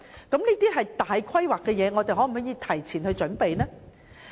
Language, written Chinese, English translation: Cantonese, 這些都是重大的規劃，我們能否早作準備呢？, All these involve major planning and can we make early preparation for this?